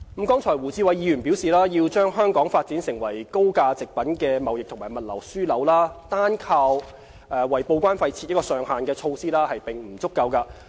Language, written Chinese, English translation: Cantonese, 剛才胡志偉議員表示，要把香港發展為高價值貨品的貿易及物流樞紐，單靠為報關費設上限的措施並不足夠。, Mr WU Chi - wai has said the imposition of a cap on TDEC charges alone is insufficient to develop Hong Kong into a trading and logistics hub for high - value goods